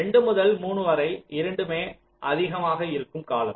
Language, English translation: Tamil, so between two and three there will be a period where both are high